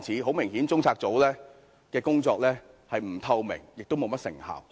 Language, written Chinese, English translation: Cantonese, 很明顯，中策組的工作既不透明，亦沒甚麼成效。, Obviously the work of CPU is neither transparent nor effective